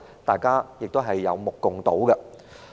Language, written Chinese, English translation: Cantonese, 大家有目共睹。, The answer is obvious to all